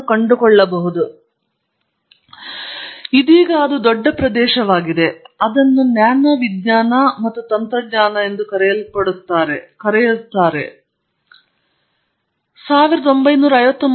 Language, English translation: Kannada, This is always been a big area and now it is much more so because of so called nano science and technology